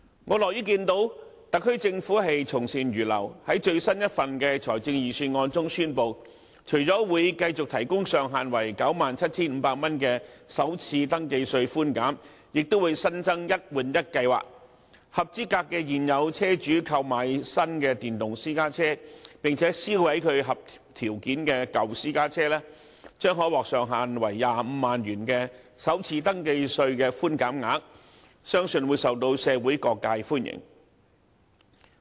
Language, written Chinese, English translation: Cantonese, 我樂於看到特區政府從善如流，在最新一份的財政預算案中宣布，除了會繼續提供上限為 97,500 元的首次登記稅寬減，亦會新增"一換一"計劃，合資格的現有車主購買新的電動私家車，並且銷毀其合條件的舊私家車，將可獲上限為25萬元的首次登記稅的寬減額，相信會受到社會各界歡迎。, I am pleased to see that the SAR Government has taken on board our views and acted accordingly in that it announces in its latest budget that the provision of first registration tax concession capped at 97,500 will continue alongside the introduction of the one - for - one replacement scheme under which eligible existing car owners who arrange to scrap and de - register their own eligible old private cars and then first register a new electric private car to enjoy a higher first registration tax concession cap up to 250,000 . I believe these initiatives will be well - received by all quarters of society